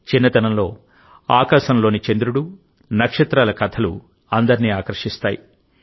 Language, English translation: Telugu, During one's childhood, stories of the moon and stars in the sky attract everyone